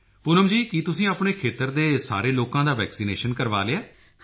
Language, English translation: Punjabi, Poonam ji, have you undertaken the vaccination of all the people in your area